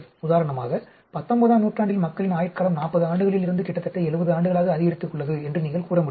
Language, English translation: Tamil, For example, you can say, the life span of people have increased from, say, 40 years in the 19th century to almost 70 years